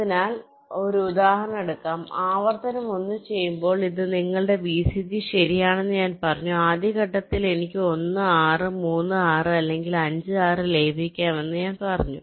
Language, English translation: Malayalam, when iteration one, as i have said, this was your vcg right, and i said i can merge one, six, three, six or five, six in the first step